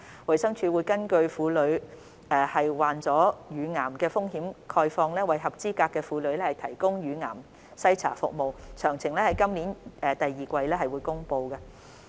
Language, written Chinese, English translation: Cantonese, 衞生署會根據婦女罹患乳癌的風險概況，為合資格婦女提供乳癌篩查服務，詳情將於今年第二季公布。, The Department of Health will provide breast cancer screening for eligible women having regard to their risk of developing breast cancer . Details will be announced in the second quarter of this year